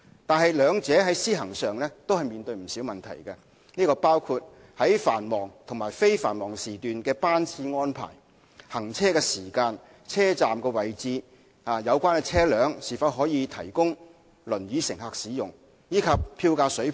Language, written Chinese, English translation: Cantonese, 不過，兩者在施行上均面對不少問題，包括在繁忙和非繁忙時段的班次安排、行車時間、車站位置、有關車輛是否可供輪椅乘客使用，以及票價水平等。, However both proposals face quite a number of implementation problems such as the service frequency during peak and non - peak periods journey time locations of the stops whether the vehicles are wheelchair - accessible and the fare level etc